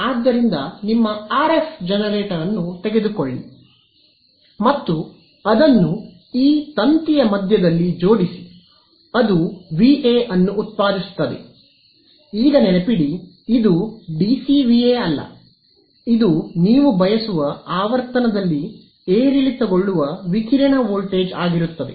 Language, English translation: Kannada, So, that is one take your RF generator and plug it into the middle of this wire so, that is going to generate a V A; now remember this is not DC VA right this is going to be a voltage that is fluctuating at the frequency you want to radiate at right